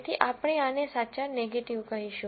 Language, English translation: Gujarati, So, we will call this as the true negative